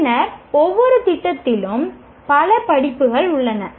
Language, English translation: Tamil, Then every program has several courses